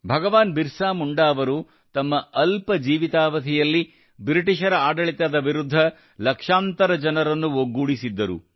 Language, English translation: Kannada, Bahgwan BirsaMunda had united millions of people against the British rule in his short lifetime